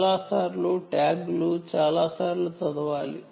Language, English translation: Telugu, tags to be read many times